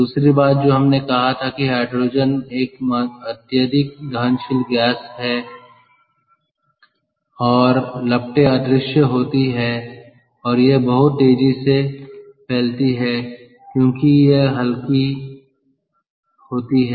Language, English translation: Hindi, the other thing we said was hydrogen is a highly combustible gas and the flames are invisible and it spreads very rapidly because its light